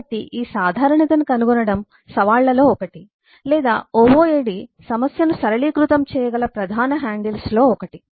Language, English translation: Telugu, so finding out this commonality is a mee, is one of the uh challenge or one of the major handles through which ooad can simplify problem